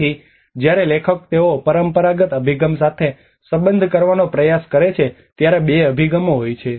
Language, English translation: Gujarati, So there is two approaches when the authors they try to relate with the traditional approach